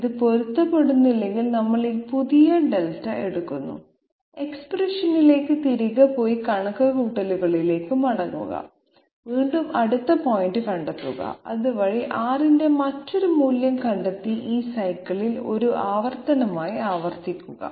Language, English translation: Malayalam, If it does not match, we take this new Delta, go back to the expression and go back to the calculations, again find out the next point and that way find out another value of R and go on repeat in this cycle as an iteration